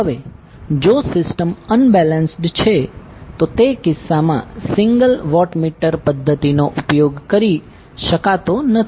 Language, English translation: Gujarati, Now if the system is unbalanced, in that case the single watt meter method cannot be utilized